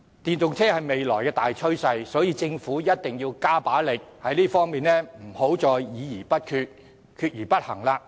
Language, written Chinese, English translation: Cantonese, 電動車是未來的大趨勢，政府一定要加把勁，在這方面不能再議而不決，決而不行。, The use of EVs is a major trend in the future . Instead of making no decision after discussion and taking no action after a decision is made the Government should put in more efforts to promote their popularization